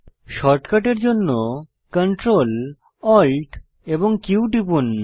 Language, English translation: Bengali, For shortcut, press Ctrl, Alt Q